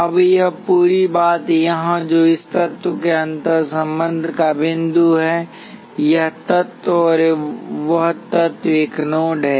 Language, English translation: Hindi, Now this whole thing here which is a point of interconnection of this element, this element and that element is a node